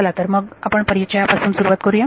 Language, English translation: Marathi, So, let us start with introduction